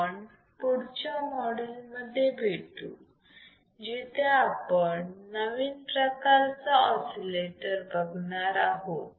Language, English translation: Marathi, Let us complete this module here and we will see in the next module the another kind of oscillator